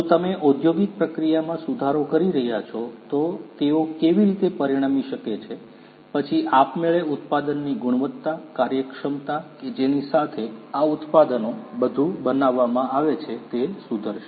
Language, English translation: Gujarati, How they can lead to you know if you are improving the industrial process, then automatically the quality of the product, the efficiency with which these products are made everything is going to improve